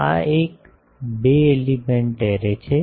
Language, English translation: Gujarati, So, this is a two element array